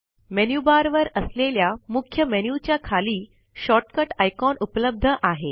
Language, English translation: Marathi, Short cut icons are available below the Main menu on the Menu bar